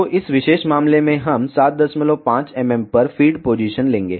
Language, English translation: Hindi, So, in this particular case we will take the feed position at 7